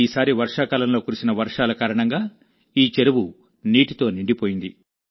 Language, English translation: Telugu, This time due to the rains during the monsoon, this lake has been filled to the brim with water